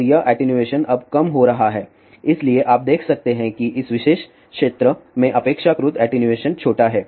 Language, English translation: Hindi, And this attenuation now is decreasing so you can see that in this particular region relatively attenuation is small